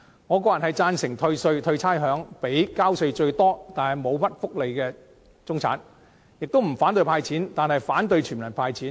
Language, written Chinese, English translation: Cantonese, 我個人贊成退稅、退差餉予交稅最多卻沒有享受很多福利的中產，我亦不反對"派錢"，但卻反對全民"派錢"。, Personally I support offering tax rebate and rates concessions to the middle class who paid the largest amount of tax but enjoy few welfare benefits . I also do not oppose a cash handout but I do not support a universal cash handout